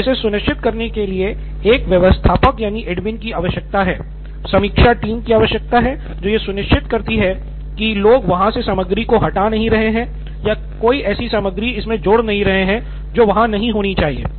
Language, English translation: Hindi, And it needs an admin for sure, review team which makes sure that, people are not deleting content or leaving it in there, putting in content that does not belong there